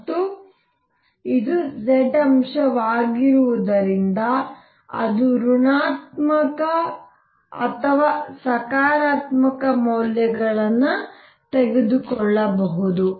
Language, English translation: Kannada, And since this is z component it could take negative or positive values both